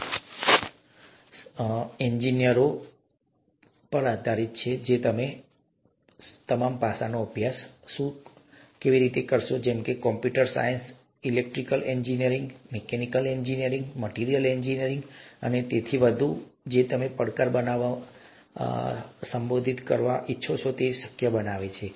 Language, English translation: Gujarati, If you’re an engineer, you could look at what all aspects, is it computer science, electrical engineering, mechanical engineering, materials engineering and so on and so forth that go into making this challenge, or making or addressing, making it possible to address this challenge